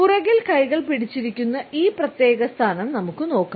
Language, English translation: Malayalam, We can look at this particular position where hands have been held behind the back